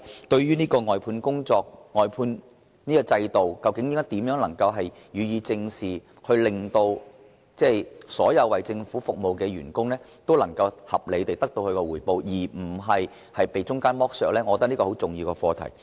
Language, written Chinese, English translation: Cantonese, 對於外判制度，究竟如何能夠予以正視，令所有為政府服務的員工都能得到合理回報而不被中間剝削，我認為這是十分重要的課題。, In my opinion it is very important to study ways to address the outsourcing system to enable all employees serving the Government to receive reasonable rewards without being subject to middle - man exploitation